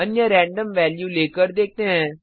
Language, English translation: Hindi, Let us try with another random value